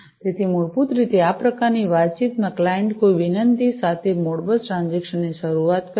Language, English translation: Gujarati, So, basically in this kind of communication the client initiates the Modbus transaction with a particular request